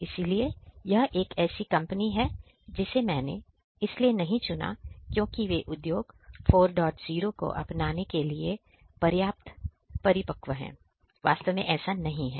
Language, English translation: Hindi, So, this is a company that I chose not because they are matured enough for the adoption of Industry 4